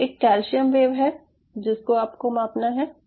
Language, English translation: Hindi, so there is a calcium wave which has to be measured